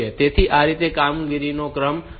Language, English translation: Gujarati, So, that is how this sequence of operation should take place